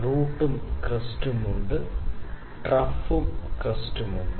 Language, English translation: Malayalam, So, there is root and crest, we have trough and crest